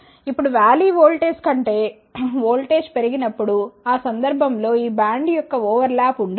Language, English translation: Telugu, Now, when the voltage is increased more than the valley voltage, in that case there will not be any overlap of this band